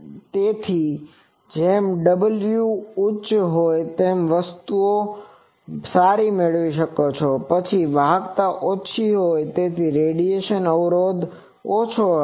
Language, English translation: Gujarati, So, as w high you get a things, but then your conductance is smaller so your radiation resistance which will be small